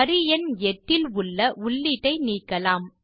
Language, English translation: Tamil, First, lets delete the entry in row number 8